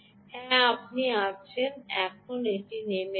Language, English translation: Bengali, yes, there you are, now it's coming down